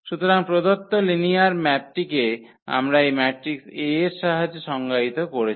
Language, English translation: Bengali, So, the given linear map we have defined with the help of this matrix A